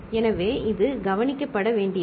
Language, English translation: Tamil, So, this is to be noted